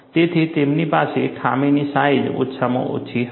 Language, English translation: Gujarati, So, they have minimum flaw sizes